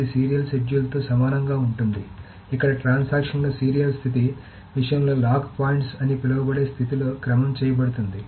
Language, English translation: Telugu, This is equivalent to a serial schedule where the order of the transaction in the serial thing is serialized in the order of something called a lock points